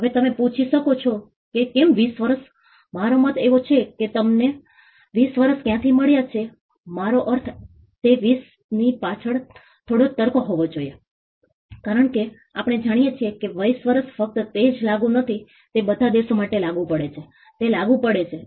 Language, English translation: Gujarati, Now you may ask why 20 years, I mean where did we get the 20 years from I mean they should be some logic behind 20 because, we know that 20 years is not only true or not only applicable for all countries it is applicable it is technology agnostic